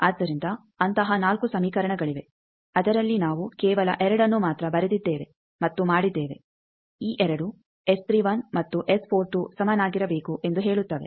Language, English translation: Kannada, So, 4 such equations, out of that we have written only 2 and that has done that these 2 says S 31 and S 42 they should be equal